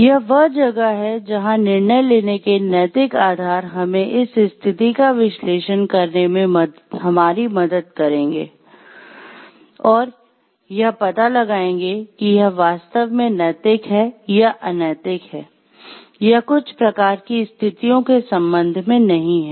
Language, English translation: Hindi, It is where the ethical pillars of decision making will help us to analyze the situation with respect to these ethical pillars and find out whether it is truly ethical or unethical nature or not with respect to certain kinds of situations prevailing